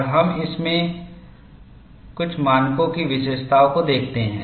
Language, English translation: Hindi, And we look at features of some of these standards